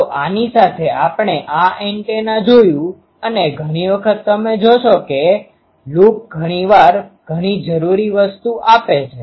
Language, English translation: Gujarati, So, with this we see this antennas and many times you will see that a loop sometimes gives a much um needed thing